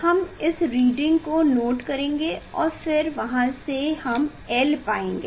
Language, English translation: Hindi, we will note down this reading and then from there we will find out l